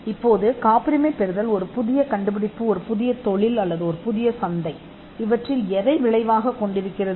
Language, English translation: Tamil, Now, whether patenting results in a new invention industry or a market